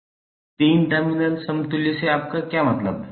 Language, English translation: Hindi, What do you mean by 3 terminal equivalents